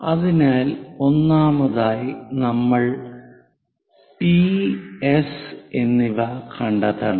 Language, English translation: Malayalam, So, first of all, we have to locate P and S